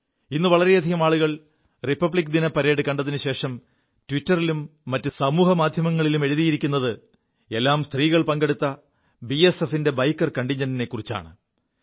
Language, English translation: Malayalam, This time, after watching the Republic Day Parade, many people wrote on Twitter and other social media that a major highlight of the parade was the BSF biker contingent comprising women participants